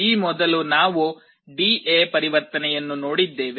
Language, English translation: Kannada, Earlier we had looked at D/A conversion